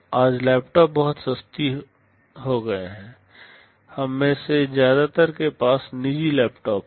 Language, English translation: Hindi, Today laptops have become very much affordable, most of us own our personal laptops